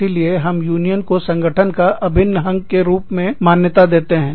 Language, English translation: Hindi, So, we recognize, that the union is an, integral part of the organization